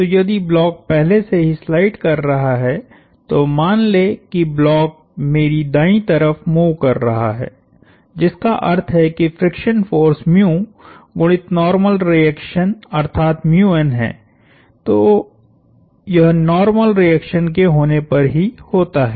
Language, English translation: Hindi, So, if the block is already sliding, then the let us assume the block is moving to my right, which means the friction force is mu times the normal reaction and that occurs wherever the normal reaction occurs